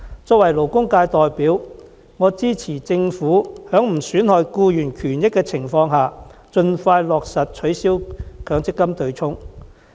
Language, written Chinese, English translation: Cantonese, 作為勞工界代表，我支持政府在不損害僱員權益的情況下，盡快落實取消強積金對沖機制。, As a representative of the labour sector I support the Government on the premise of not compromising the rights and interests of employees in effecting the abolishment of the MPF offsetting mechanism as soon as possible